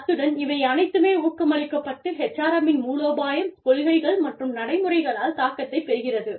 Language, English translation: Tamil, And, all of this, is then feeding into is, influenced by HRM strategy policies and practices, and is being influenced by HRM strategies, policies and practices